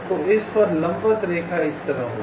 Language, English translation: Hindi, so on this, the perpendicular line will be like this